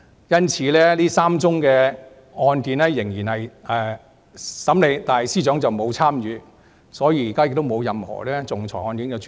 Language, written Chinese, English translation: Cantonese, 因此，這3宗個案雖然仍然進行審理，但司長已經沒有參與，現時亦沒有任何其他仲裁案件正在處理。, Therefore although the three cases are still in process the Secretary for Justice has not been involved and at present she has not handled any other arbitration case